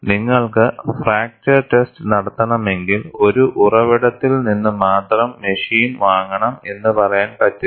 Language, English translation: Malayalam, You cannot say, if you have to do fracture test, you have to buy machine only from one source; you cannot have a monopoly